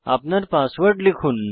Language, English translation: Bengali, Enter your password